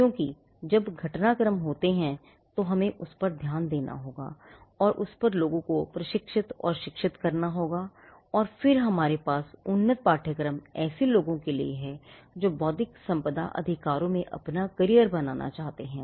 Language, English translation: Hindi, Because as in when there are developments, we may have to address that and train and educate people on that and then we have the advanced courses and the advanced courses are for people who want to make a career in intellectual property rights